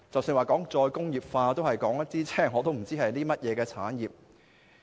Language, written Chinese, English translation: Cantonese, 談到再工業化，我也不知道涉及甚麼產業。, When it comes to re - industrialization I am not sure what industries are involved